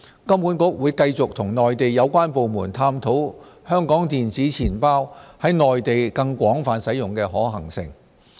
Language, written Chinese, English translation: Cantonese, 金管局會繼續與內地相關部門探討香港電子錢包在內地更廣泛使用的可行性。, HKMA will continue to explore with the relevant Mainland authorities on the possibility of a wider application of electronic wallets of Hong Kong on the Mainland